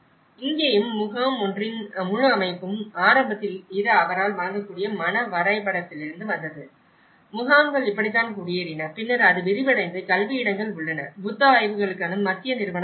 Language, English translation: Tamil, And here also the whole setup of camp 1 and initially, this is from the mental map she could able to procure that, this is how the camps have settled and then later it has expanded and you have the educational spaces and we have the Central Institute of Buddhist Studies and they have the community spaces all around